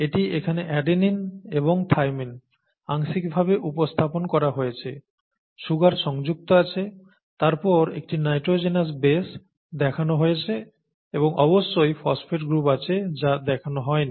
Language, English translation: Bengali, This is adenine, this is thymine, right, you have the adenine and thymine represented here in part, you have the sugar attached, then you have the nitrogenous base alone shown and then of course you have the phosphate group which is not shown